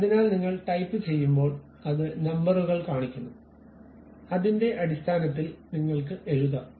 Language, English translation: Malayalam, So, when you are typing it it shows the numbers, based on that you can really write it